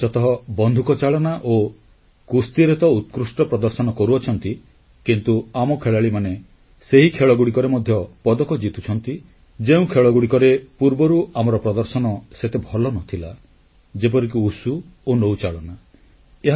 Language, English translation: Odia, Indian players are performing exceedingly well in shooting and wrestling but our players are winning medals in those competitions too, in which our performance has not been so good earlierlike WUSHU and ROWING